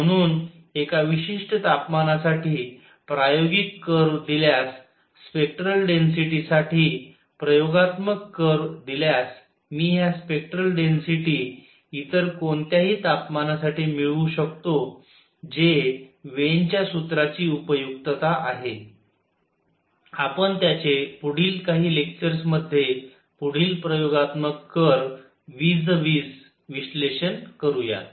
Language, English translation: Marathi, So, given experimental curve at one particular temperature, the experimental curve for spectral density, I can find these spectral density at any other temperature that is the utility of Wien’s formula, we will analyze it further vis a vis, we experimental curves in the next few lectures